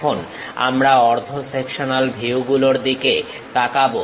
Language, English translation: Bengali, Now, we will look at half sectional views